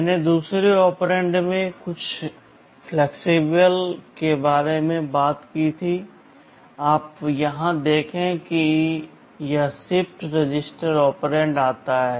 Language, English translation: Hindi, I talked about some flexibility in the second operand, you see here this shifted register operand comes in